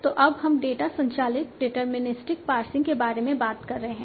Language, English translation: Hindi, So now you are talking about the data driven deterministic passing